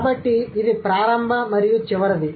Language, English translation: Telugu, So, that's the initial and the final